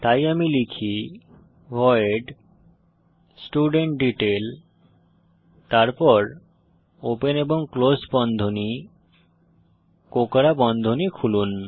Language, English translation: Bengali, So let me type, void studentDetail then opening and closing brackets, curly brackets open